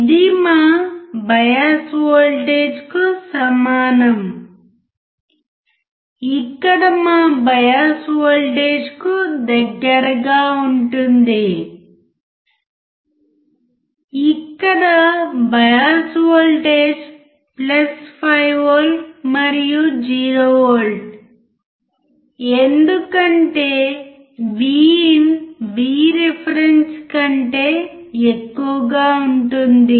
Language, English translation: Telugu, It is equivalent to our bias voltage are close to our bias voltage where bias voltage is +5 volt and 0 volt because V IN is greater than V reference